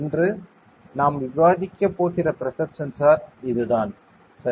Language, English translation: Tamil, So, this is the pressure sensor that we are going to discuss today ok